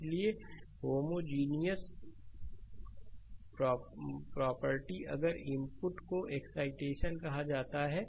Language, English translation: Hindi, So, homogeneity property it requires that if the inputs it is called excitation